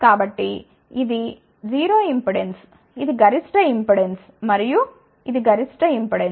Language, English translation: Telugu, So, this is a 0 impedance this is maximum impedance and this is maximum impedance